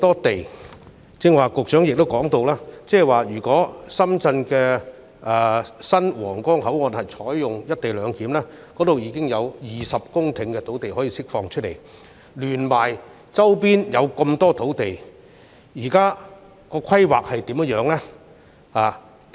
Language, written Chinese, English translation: Cantonese, 局長剛才亦提到，如果深圳新皇崗口岸採用"一地兩檢"安排，將可釋放香港落馬洲管制站的20公頃土地，再加上周邊的許多土地，政府目前對這些土地有何規劃？, Just now the Secretary also said that if co - location arrangements were to be implemented at the new Huanggang Port in Shenzhen over 20 hectares of land near the Loop in the Lok Ma Chau Control Point of Hong Kong could be released . What is the Governments plan for these lands and the sites in the vicinity?